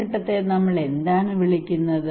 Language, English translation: Malayalam, What we call this phase